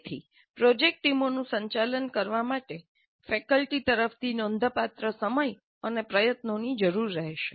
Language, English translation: Gujarati, So handling the project teams, which would be very large in number, would require considerable time and effort from the faculty side